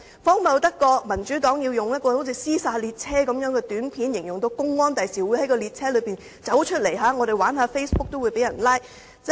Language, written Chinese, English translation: Cantonese, 荒謬得過民主黨用猶如"屍殺列車"的短片，宣傳公安日後會在列車中拘捕玩 Facebook 的人？, Is it more ridiculous than the Democratic Partys publicity of depicting XRL trains as Train to Busan in which public security officers arrest Facebook players on the train?